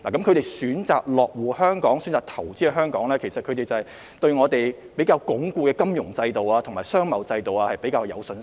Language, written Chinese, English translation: Cantonese, 他們選擇落戶、投資香港的原因是對香港鞏固的金融制度和商貿制度有信心。, They have chosen to establish their bases or invest in Hong Kong because they have confidence in the robust financial and trade systems of Hong Kong